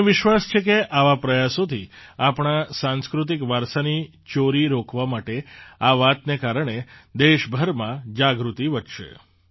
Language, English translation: Gujarati, I am sure that with such efforts, awareness will increase across the country to stop the theft of our cultural heritage